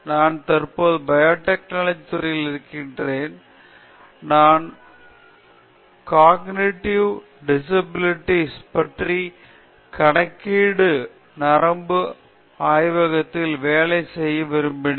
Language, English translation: Tamil, I am currently in the biotechnology department I always wanted to work on cognitive disabilities, some in the computation neuroscience lab